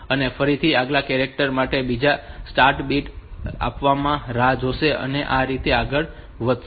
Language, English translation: Gujarati, Again for the next character another start bit it will wait for the start bit to come and it will go like this